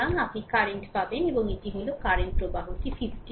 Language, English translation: Bengali, So, you will get the current and that is the current flowing to 50 ohm resistance